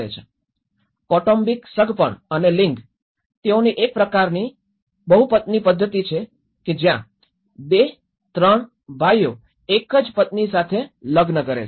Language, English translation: Gujarati, The family kinship and gender, they have a kind of polyandry system where there has one wife and 2, 3 brothers marry the same